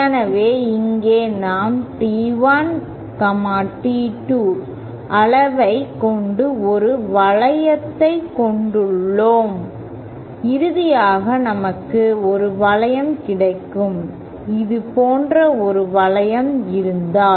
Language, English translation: Tamil, So, here we have a loop with magnitude T1, T2 and finally if we have a loop, if we have a loop like this